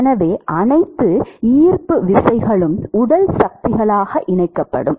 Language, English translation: Tamil, So, all gravity etcetera will be coupled into body forces